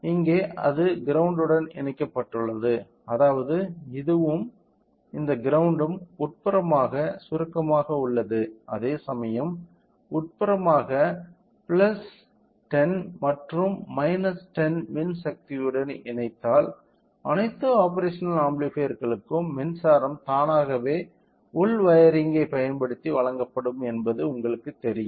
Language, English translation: Tamil, So, since here it is grounded which means that this and this grounds are same internally shorted whereas, the positive internal plus 10 and minus 10 whatever you noticed here if we connect a power to this automatically the power to the all the operational amplifiers will be you know will be provided using internal wiring right